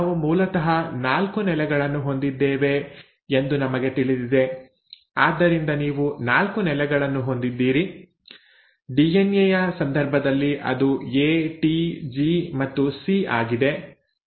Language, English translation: Kannada, Now we know we basically have 4 bases, so you have 4 bases; in case of DNA it is A, T, G and C